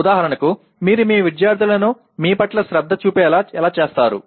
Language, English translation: Telugu, For example how do you arouse or make people make your students pay attention to you